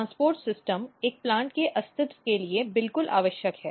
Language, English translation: Hindi, And transport system is absolutely essential for survival of a plant